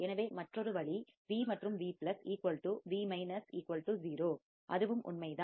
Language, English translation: Tamil, So, another way is V and Vplus equals to Vminus equals to 0 that is also true